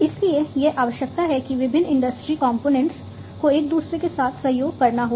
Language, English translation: Hindi, So, what is required is that the different industry components will have to collaborate with one another